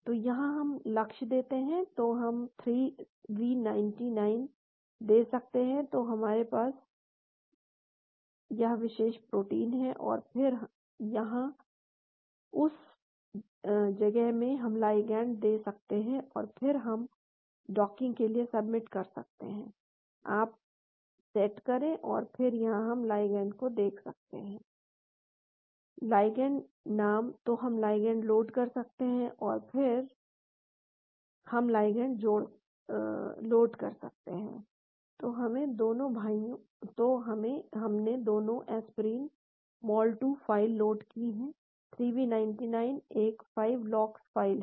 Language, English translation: Hindi, So, here we give the target, so we can give 3v99, so we have this particular protein and then here, in that place we can put the ligand and then we can submit for docking, you set up and then here we can put out ligand ; ligand name , so we can load the ligand and so we can load the ligand and so we have loaded both aspirin mol 2 file, 3v99 is a 5 lox file